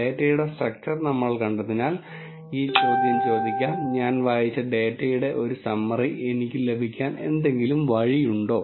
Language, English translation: Malayalam, Since we have seen the structure of the data, let us ask this question is there any way that I will get a summary of the data which I have read